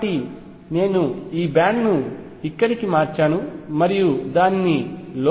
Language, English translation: Telugu, So, I shift this band here and bring it in